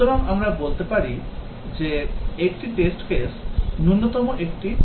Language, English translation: Bengali, So, we can say that a test case at the minimum is a triplet